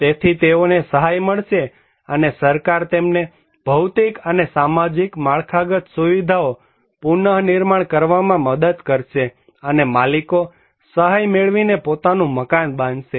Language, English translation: Gujarati, So, they will get an assistance and government will help them to install, rebuild physical and social infrastructure, and the owners they will construct their own house by getting assistance